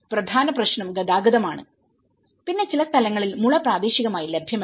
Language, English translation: Malayalam, The main issue is the transport, you know like in certain places bamboo is not locally available